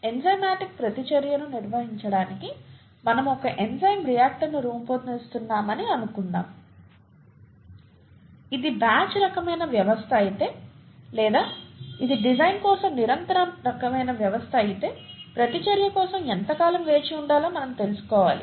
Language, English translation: Telugu, Suppose we are designing an enzyme reactor to carry out an enzymatic reaction, we need to know how long to wait for the reaction to take place if it is a batch kind of system, or even if it’s a continuous kind of a system for design of flow rates and so on and so forth, we need to know the kinetics